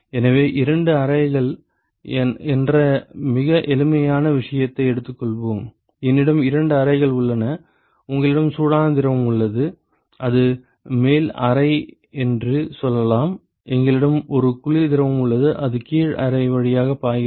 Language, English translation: Tamil, So, let us take a very simple case of two chambers ok, I have two chambers and you have a hot fluid, which is flowing through let us say the upper chamber and we have a cold fluid which is flowing through the lower chamber and you have a wall here